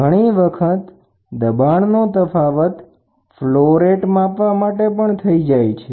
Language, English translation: Gujarati, Many a times, pressure difference is used as a means of measuring a flow rate of a fluid